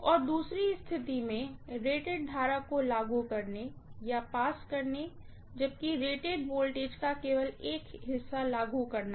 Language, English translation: Hindi, And second situation applying or passing rated current, whereas applying only a fraction of the rated voltage